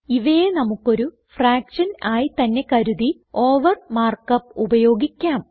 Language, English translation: Malayalam, We just have to treat them like a fraction, and use the mark up over